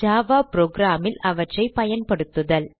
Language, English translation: Tamil, Use them in a Java program